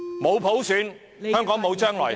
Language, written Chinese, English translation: Cantonese, 沒有普選，香港便沒有將來。, Without election by universal suffrage Hong Kong will have no future